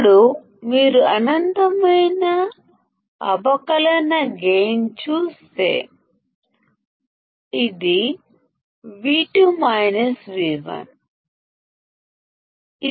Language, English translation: Telugu, Now if you see infinite differential gain; it is V2 minus V1